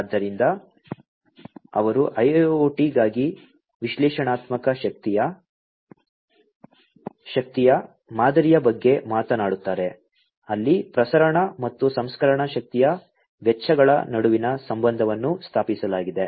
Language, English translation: Kannada, So, they talk about an analytical energy model for IIoT, where the relationship between the transmission and processing energy costs are established